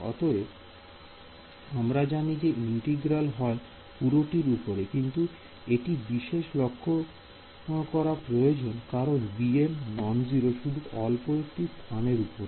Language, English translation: Bengali, So, in principle this integral is over the entire thing, but it does matter because b m is non zero only over some small region right